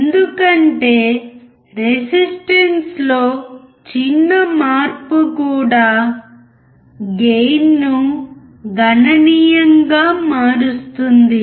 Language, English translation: Telugu, This is because, even a small change in resistance will change the gain significantly